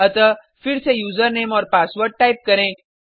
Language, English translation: Hindi, So let us type User Name and Password again